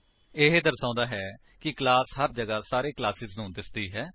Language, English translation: Punjabi, This shows that the class is visible to all the classes everywhere